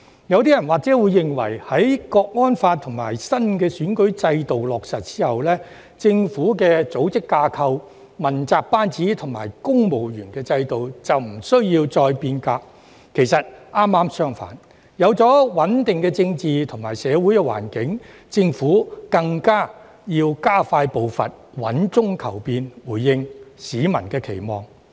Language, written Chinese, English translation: Cantonese, 有部分人或會認為，在《香港國安法》及新選舉制度落實後，政府的組織架構、問責班子及公務員制度便無需再變革；其實剛好相反，有了穩定的政治及社會環境，政府更要加快步伐，穩中求變，回應市民期望。, Some people may think that the implementation of the National Security Law for Hong Kong and the new electoral system will render the reform on the organizational structure the team of accountability officials and the civil service system unnecessary . Quite the reverse in fact when the political and social environment has become stable the Government should accelerate its pace seek change while maintaining stability and respond to the aspirations of the public